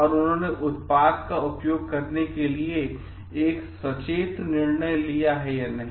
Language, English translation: Hindi, And more so like, whether they have taken a conscious decision of using the product